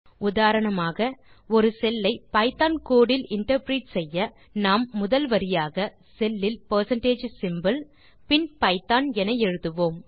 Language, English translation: Tamil, For example, to interpret the cell as Python code we put as the first line in the cell percentage symbol then python